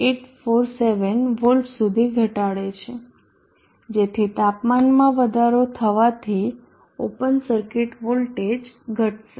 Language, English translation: Gujarati, 847 volts, so as temperature increases the open circuit voltage will drop